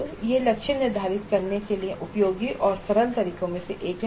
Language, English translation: Hindi, So this is one of the useful and simple ways of setting the target